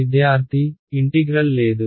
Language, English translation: Telugu, There is no integral